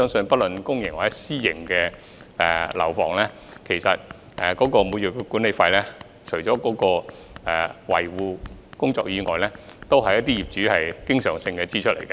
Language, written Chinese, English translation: Cantonese, 不論是公營或私營樓宇，每月管理費除了支付維修費用外，還要應付一些經常性支出。, For public or private buildings in addition to covering the maintenance expenses the monthly management fees are spent on some recurring expenses